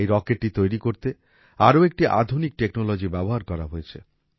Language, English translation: Bengali, Another modern technology has been used in making this rocket